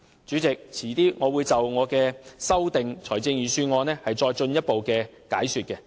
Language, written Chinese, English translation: Cantonese, 主席，稍後我會就我的修正案作進一步解說。, President I shall further elaborate on my amendment later